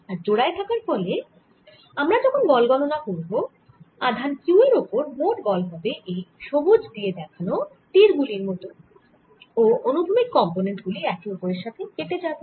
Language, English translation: Bengali, and if i calculate the net force here on q is going to be like this, as shown by green arrows, and their horizontal component will cancel